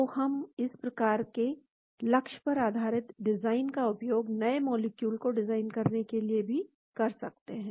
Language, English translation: Hindi, So, we can use this type of target based design also for designing new molecule